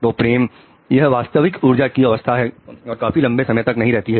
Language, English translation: Hindi, So love in the true energetic state doesn't last long